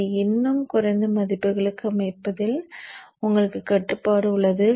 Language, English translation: Tamil, You have control on setting it to still lower values too